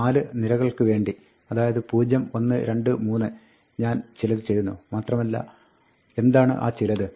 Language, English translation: Malayalam, For 4 rows 0, 1, 2, 3, I do something; and what is that something